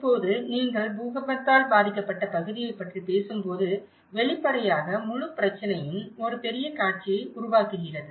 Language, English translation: Tamil, Now, when you talk about an earthquake affected area, obviously, the whole trouble creates you know, a massive scene